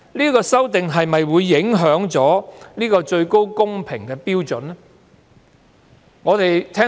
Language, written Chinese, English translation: Cantonese, 這次修訂又會否影響高度公平標準呢？, Will this amendment exercise have any implications on the high standard of fairness?